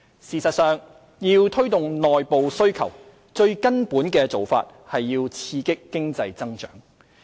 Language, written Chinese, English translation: Cantonese, 事實上，要推動內部需求，最根本的做法是刺激經濟增長。, Actually in stimulating internal demand the fundamental approach is to stimulate economic growth